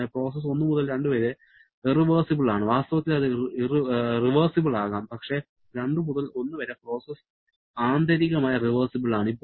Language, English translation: Malayalam, So, process 1 to 2 is irreversible, in fact that can be reversible as well but process 2 to 1 is internally reversible